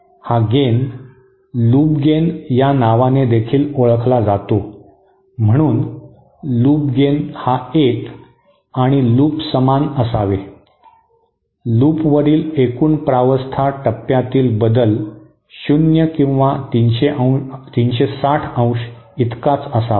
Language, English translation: Marathi, So this gain is also known as by the term called Loop Gain that is, Loop gain should be equal to 1 and the loop, total phase change over the loop should be equal to 0 or 360 degree